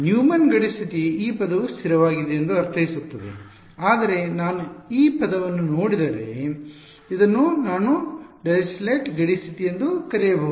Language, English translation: Kannada, Neumann boundary condition is would mean that this term is constant, but this if I can also call it a Dirichlet boundary condition because if I look at this term